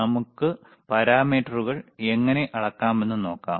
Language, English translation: Malayalam, And we will we will see how we can measure the parameters